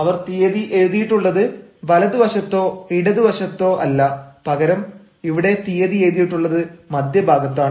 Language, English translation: Malayalam, they have not written the date even on the right hand side or on the left hand side, but the date here is written in the middle